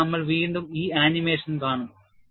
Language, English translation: Malayalam, So, we will again see this animation